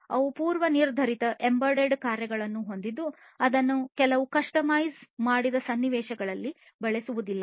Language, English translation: Kannada, They have predefined embedded functions that cannot be used for certain you know customized scenarios